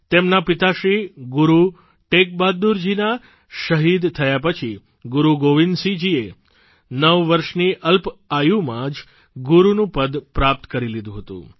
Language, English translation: Gujarati, After the martyrdom of his father Shri Guru TeghBahadurji, Guru Gobind Singh Ji attained the hallowed position of the Guru at a tender ageof nine years